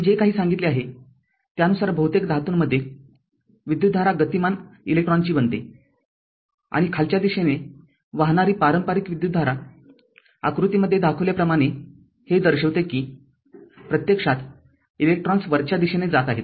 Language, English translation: Marathi, Whatever, whatever I said that in most of the metals right in most of the metal right, the current consist of electrons moving and conventional current flowing downwards your right represents that electrons actually moving upward right as shown in the diagram